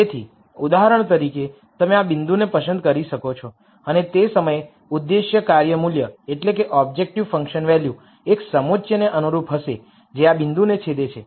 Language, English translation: Gujarati, So, for example, you could pick this point and the objective function value at that point would be corresponding to a contour which intersects this point